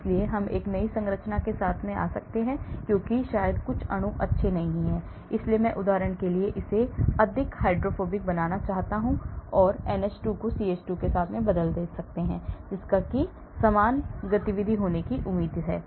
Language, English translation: Hindi, So, I could come up with new structures because maybe some properties are not good, so I want to make it more hydrophobic for example, so I may replace a NH2 with CH3 expected to have similar activity